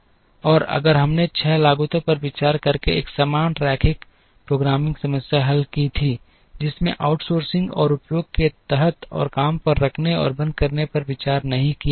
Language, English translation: Hindi, And if we had solved a corresponding linear programming problem by considering 6 costs, including outsourcing and under utilization and not considering hiring and laying off